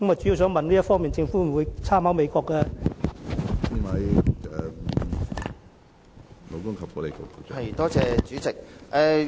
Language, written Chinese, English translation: Cantonese, 政府在這方面會否參考美國的做法？, Will the Government learn from the United States in this regard?